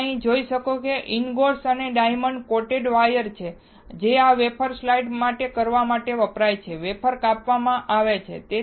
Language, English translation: Gujarati, Now, you see here the ingots and diamond coated wires is there, which is used to slide this wafer, wafers are sliced